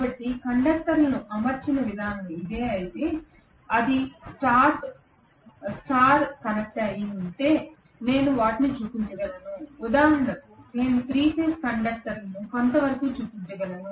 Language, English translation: Telugu, So if this is the way the conductors are arranged I can show them if it is star connected, for example I can show the 3 phase conductors somewhat like this